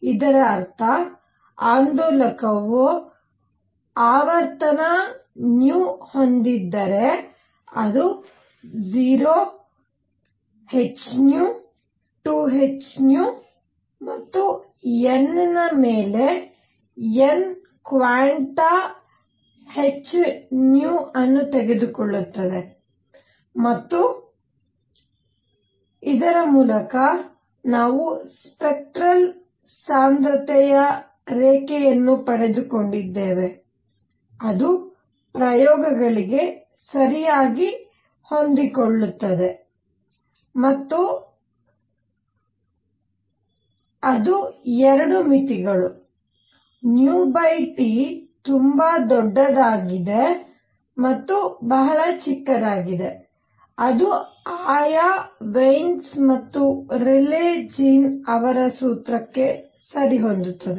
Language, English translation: Kannada, That means, if an oscillator has frequency nu, it can take energies 0 h nu 2 h nu and so on n that is n quanta of h nu and through this, we obtained a spectral density curve that fit at the experiments perfectly and it also went to in the 2 limits nu over T being very large and very small, it went to the respective Wien’s and Rayleigh Jean’s formula